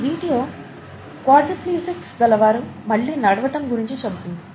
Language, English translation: Telugu, This talks about the possibility of a quadriplegics walking again